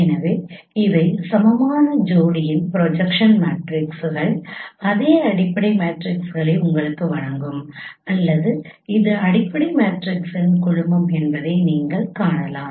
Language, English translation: Tamil, So here you can see that this is the this is these are the equivalent pairs of projection matrices which will give you the same fundamental matrices or this is a family of fundamental matrices